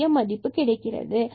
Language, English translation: Tamil, 0401 and here we will get 0